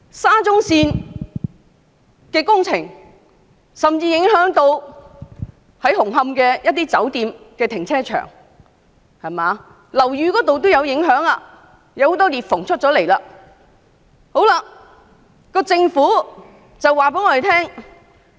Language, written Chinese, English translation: Cantonese, 沙中線工程甚至影響到紅磡一些酒店的停車場，而樓宇亦受影響，出現多道裂縫。, The SCL Project has even affected the car parks of some hotels in Hung Hom and the buildings are not immune with appearance of multiple cracks